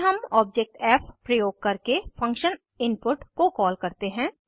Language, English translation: Hindi, Then we call the function input using the object f